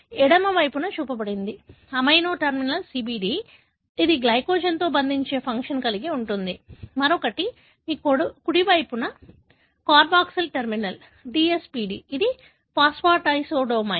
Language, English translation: Telugu, One that is shown on the left side, amino terminal is CBD that has the function to bind to glycogen, the other one on your right side that is carboxyl terminal is the DSPD which is phosphatasedomain